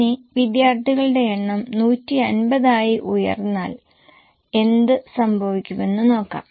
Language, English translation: Malayalam, Now let us see what happens if number of students go up to 150